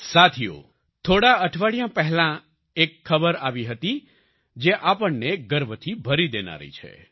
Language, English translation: Gujarati, Friends, a few weeks ago another news came which is going to fill us with pride